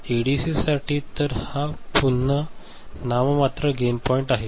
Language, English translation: Marathi, For ADC, so this is again the nominal gain point